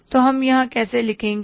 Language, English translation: Hindi, So how we would write here